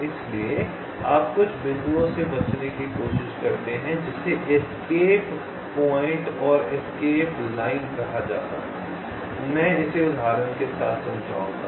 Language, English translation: Hindi, so you try to find out something called escape point and escape line, and i will explain this with example